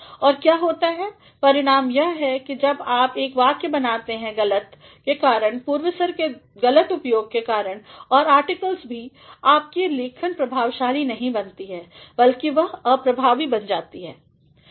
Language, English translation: Hindi, And, what happens the result is that when you create a sentence because of the bad referent, because of the faulty use of prepositions and also of articles your writing does not become effective rather it becomes ineffective